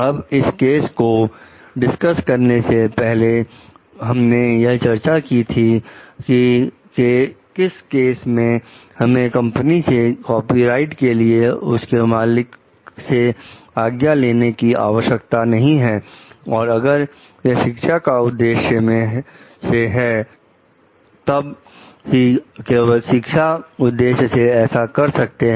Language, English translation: Hindi, Now, before we have discussed the cases also, like whether like in which cases it is not required for a company to take the permission of the copyright owner and maybe if it is for education purpose only and for academic purpose only